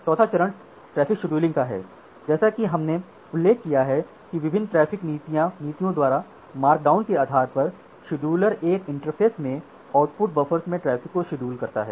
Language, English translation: Hindi, Next the fourth step was traffic scheduling as we have mentioned that based on the markdown by different traffic policers, the scheduler schedule the traffic into output buffers of an interface